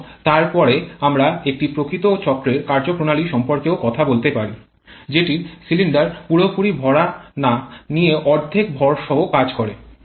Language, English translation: Bengali, And then we can also talk about an actual cycle operation that is operation with half load when the cylinder is not fully loaded